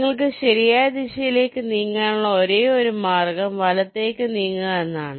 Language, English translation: Malayalam, the only way in which you can move in the right direction is towards right